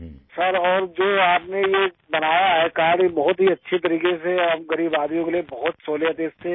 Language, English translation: Urdu, Sir and this card that you have made in a very good way and for us poor people is very convenient